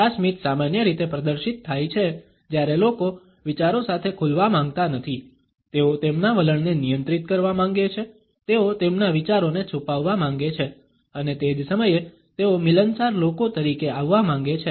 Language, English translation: Gujarati, This smile is normally exhibited, when people do not want to opened up with thoughts, they want to restrain their attitudes, they want to conceal their ideas and at the same time they want to come across as affable people